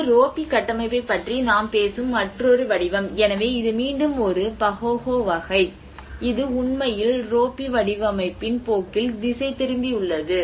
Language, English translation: Tamil, \ \ \ This is another form we talk about the ropy structure, so that is where this is again a Pahoehoe sort of thing which actually twist into a trend of ropy format